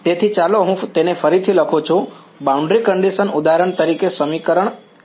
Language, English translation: Gujarati, So, let me rewrite it boundary condition is for example, equation 1 right